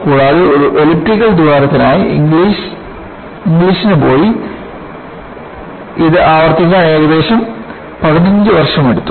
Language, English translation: Malayalam, And, it took almost fifteen years for Inglis to go and repeat the same for an elliptical hole